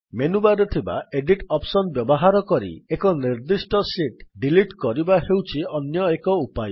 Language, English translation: Odia, Another way of deleting a particular sheet is by using the Edit option in the menu bar